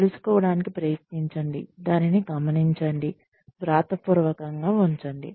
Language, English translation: Telugu, Try to find out, note it down, put it down in writing